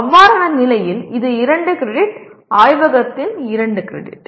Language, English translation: Tamil, In that case it will become 2 credit, 2 credits of laboratory